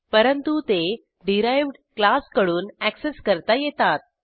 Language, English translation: Marathi, They can be accessed by a derived class